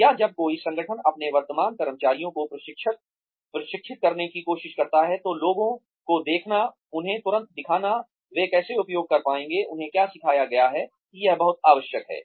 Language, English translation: Hindi, Or, when an organization, tries to train its current employees, it is very essential to show people, immediately show them, how they will be able to use, what they have been taught